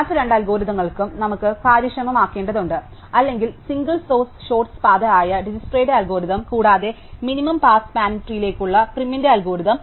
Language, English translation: Malayalam, The other two algorithms which we need to make efficient or Dijkstra's algorithm for the single source shortest path, and Prim's algorithm for the minimum cost spanning tree